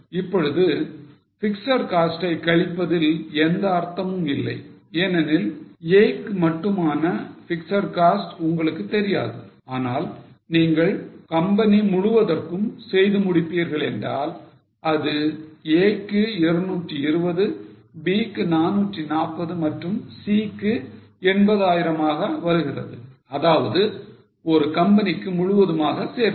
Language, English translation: Tamil, Now there is no point in deducting fixed costs because you don't know separately fixed cost for A but if you complete it for the whole company, so 220 here, 240 for B and 80,000 for C